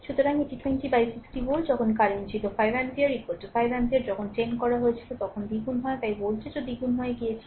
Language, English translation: Bengali, So, it was 20 by 60 volt when current was 5 ampere, i is equal to 5 ampere, when i was made 10 that is doubled so voltage also had became doubled